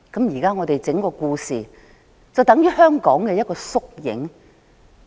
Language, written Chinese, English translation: Cantonese, 現在整個故事便等於香港的縮影。, The whole story now is a miniature of Hong Kong